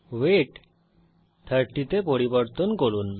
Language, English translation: Bengali, Change weight to 30